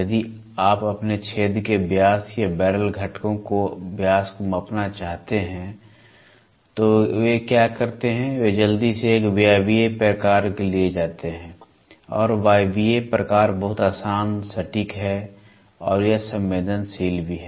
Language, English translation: Hindi, If you want to measure your diameter of a hole or a diameter of a barrel component, so then what they do is they quickly go for a pneumatic type and the pneumatic type is very easy, accurate and it is also sensitive